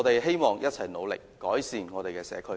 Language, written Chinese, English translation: Cantonese, 希望我們一起努力，改善我們的社區。, I hope that we can work together to improve our community